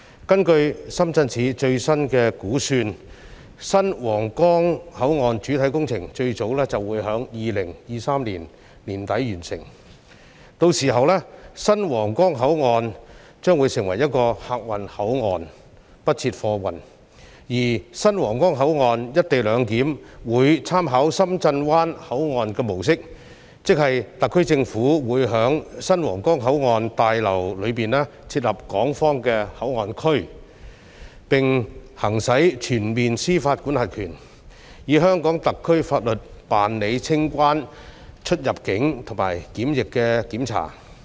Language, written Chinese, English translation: Cantonese, 根據深圳市政府最新估算，新皇崗口岸的主體工程最早會於2023年年底完成，屆時新皇崗口岸將會成為客運口岸，不設貨運，而新皇崗口岸的"一地兩檢"安排，會參考深圳灣口岸的模式，即特區政府會在新皇崗口岸大樓內設立港方口岸區，並行使全面司法管轄權，以香港特區法律辦理清關、出入境和檢疫的檢查。, The new Huanggang Port will then become a boundary crossing for passenger traffic without any cargo clearance service . The co - location arrangement at the new Huanggang Port will draw reference from the model of the Shenzhen Bay Port . In other words the SAR Government will set up a Hong Kong Port Area HKPA in the new Huanggang Port building and exercise full jurisdiction there to carry out customs immigration and quarantine clearance inspections in accordance with the laws of Hong Kong